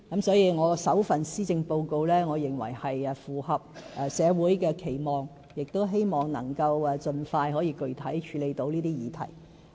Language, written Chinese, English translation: Cantonese, 所以，我首份施政報告是符合社會期望的，我亦希望能夠盡快具體處理這些議題。, In conclusion I think my first policy address is able to meet social expectations and I intend to take concrete steps to handle these issues as soon as possible